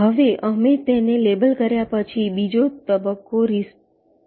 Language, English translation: Gujarati, now, after we have labeled it, phase two consists of the retrace phase